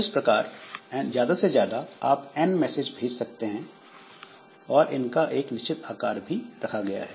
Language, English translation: Hindi, So, we can, we can say that they are at most n messages can be sent and messages they have got some fixed size